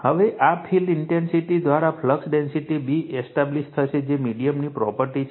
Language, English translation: Gujarati, Now, the flux density B is established by this field intensity right is a property of the medium